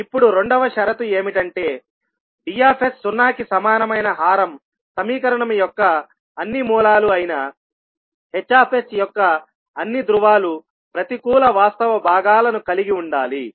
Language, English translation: Telugu, Now the second condition is that all poles of h s that is all roots of the denominator equation that is d s equal to zero must have negative real parts